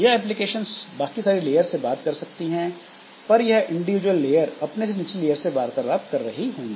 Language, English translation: Hindi, So, applications they can talk to all other layers but these individual layers so they will be talking to the next lower layer for doing the interaction